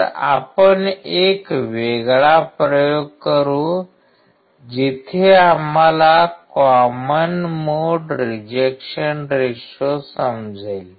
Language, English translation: Marathi, So, we will do a separate experiment where we will understand common mode rejection ratio